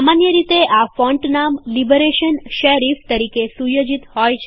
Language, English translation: Gujarati, The font name is usually set as Liberation Serif by default